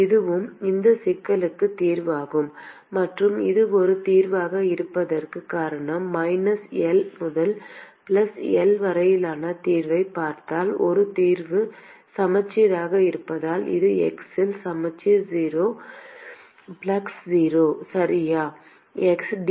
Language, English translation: Tamil, This is also the solution of this problem and the reason why it is this a solution is because if you look at the solution of minus L to plus L because a solution is symmetric it is symmetric at x equal to 0, the flux is 0